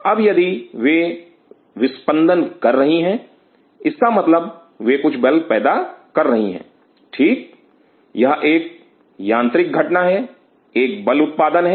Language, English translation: Hindi, Now if they are beating it means they are generating certain force right it is a mechanical event is a four generation